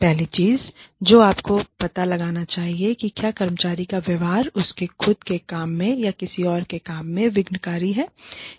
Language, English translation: Hindi, The first thing, you should do is, find out, if the employee's behavior has been disruptive, to her or his own work, or to anyone else's work, in the workplace